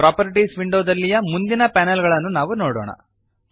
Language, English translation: Kannada, Lets see the next panels in the Properties window